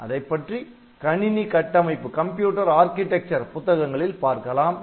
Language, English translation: Tamil, So, you can get it into computer architecture books